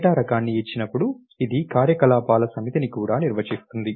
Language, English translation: Telugu, And given a data type it also defines a set of operations